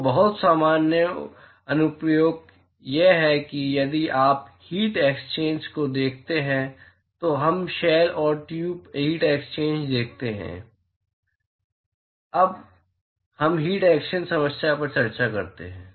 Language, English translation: Hindi, So, very common application is if you look at a heat exchanger we see shell and tube heat exchanger, when we discuss heat exchanger problem